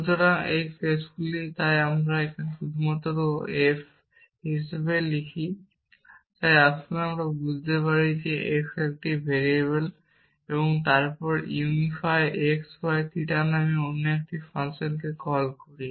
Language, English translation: Bengali, So, these are cases so I just write it as f So, let us understand this to mean that x is a variable then call another function called unify x y theta